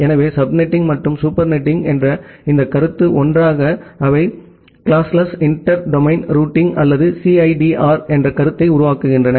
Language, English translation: Tamil, So, this concept of sub netting and super netting together they form this concept of classless inter domain routing or the CIDR